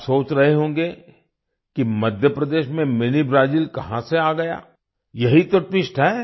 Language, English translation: Hindi, You must be thinking that from where Mini Brazil came in Madhya Pradesh, well, that is the twist